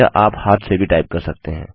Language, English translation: Hindi, You could type this manually also